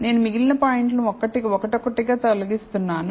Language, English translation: Telugu, Now, I am removing the remaining points one by one